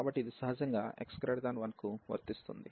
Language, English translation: Telugu, So, this is naturally true for x larger than 1